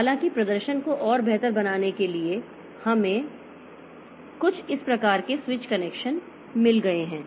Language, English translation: Hindi, However, some systems to improve the performance further, so we have got a some sort of switch connection